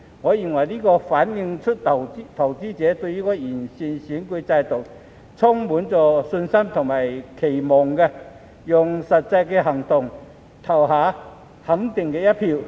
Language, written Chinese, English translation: Cantonese, 我認為，這反映出投資者對完善選舉制度充滿信心和期望，用實際行動投下肯定的一票。, In my opinion this reflects that investors have confidence and expectation in improving the electoral system and they have voted in favour of it with their actual actions